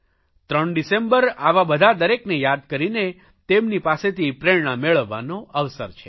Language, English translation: Gujarati, 3rd December is a day to remember all such people and get inspired by them